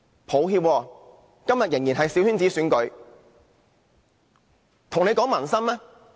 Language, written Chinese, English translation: Cantonese, 抱歉，今天仍然是由小圈子選舉產生。, I am sorry but the Chief Executive is still returned by a small - circle election